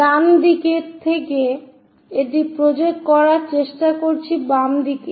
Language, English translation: Bengali, From right side we are trying to project it on to the left side